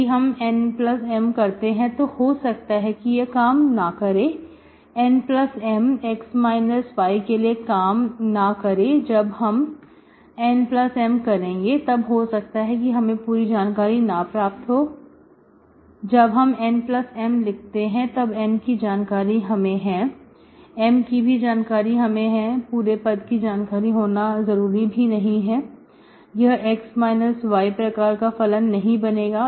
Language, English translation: Hindi, N plus M is again for x minus y, when I do this N plus M, I may not get this whole thing, when I write this N plus M, M plus N is known, this M is known, this whole function need not be, it will not become as a, as x minus y function